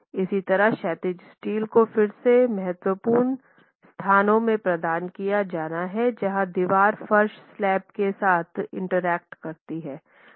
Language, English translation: Hindi, Similarly, horizontal steel has to be provided in again critical locations typically where the wall interacts with the floor slaps